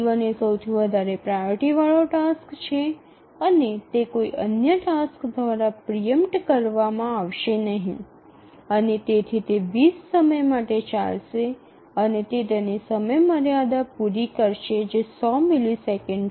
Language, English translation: Gujarati, T1 is the highest priority task and it will not be preempted by any other task and therefore it will run for 20 and it will meet its deadline because the deadline is 100